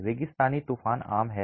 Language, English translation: Hindi, Desert storms are common